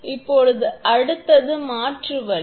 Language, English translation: Tamil, Now, next is alternative method